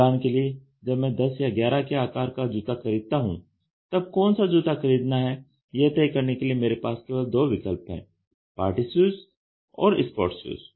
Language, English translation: Hindi, When I buy a shoe of size number 10 or 11 for example, I only have the option of deciding whether it is a party issue or a sport shoe